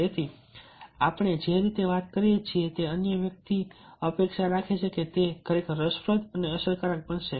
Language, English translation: Gujarati, so if we are talking in the way or in the style the other person expects, that becomes really very, very interesting and effective